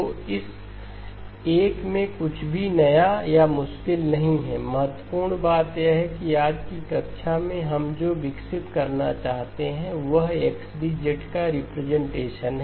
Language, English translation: Hindi, So nothing new or difficult in this one, the important thing that, what we would like to develop in today's class is the representation of XD of Z